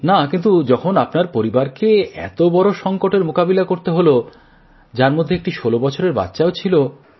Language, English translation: Bengali, No, but since your entire family went through a bad time, including the young sixteen year old…